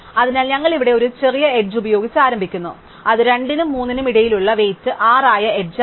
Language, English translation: Malayalam, So, we start with a smallest edge here which is the edge weight 6 between 2 and 3